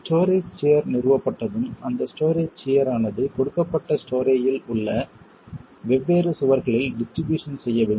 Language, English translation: Tamil, Once the story share is established, that story share has then to be distributed among the different walls in a given story